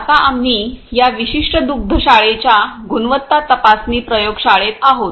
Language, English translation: Marathi, So, right now we are in the quality checking lab of this particular dairy